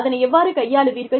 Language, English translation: Tamil, How do you deal with it